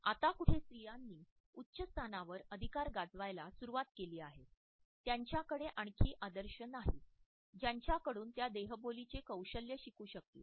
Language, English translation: Marathi, It is only recent that women have started to wield positions of authority at a much higher level; they do not have any role models from whom they can learn skills in body language